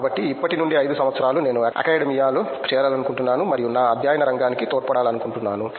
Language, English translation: Telugu, So, 5 years from now I want to join the academia and I would like contribute to my field of study